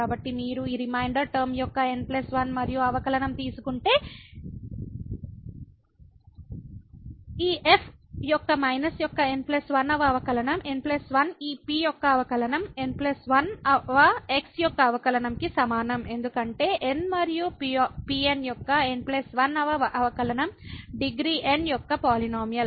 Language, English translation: Telugu, So, if you take the plus 1 and derivative here of this reminder term the plus 1th derivative of this a minus the plus 1th derivative of this is equal to the plus 1th derivative of because the plus 1th derivative of n and was the polynomial of degree n